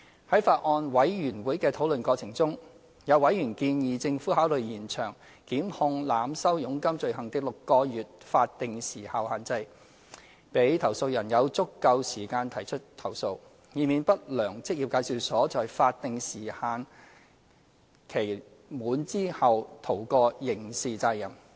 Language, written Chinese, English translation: Cantonese, 在法案委員會的討論過程中，有委員建議政府考慮延長檢控濫收佣金罪行的6個月法定時效限制，讓投訴人有足夠時間提出投訴，以免不良職業介紹所在法定時限期滿後逃過刑事責任。, In the course of discussions in the Bills Committee members suggested that the Administration should consider extending the statutory time limit of six months for prosecution of the offence of overcharging of commission so as to allow complainants sufficient time to file complaints which may reduce the chance of unscrupulous employment agencies escaping from criminal liability upon the expiry of the statutory time limit